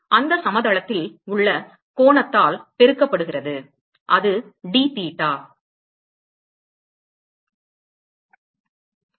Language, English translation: Tamil, So, this is the radius and the angle between them is d theta